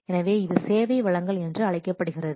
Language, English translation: Tamil, So, this is known as supply of service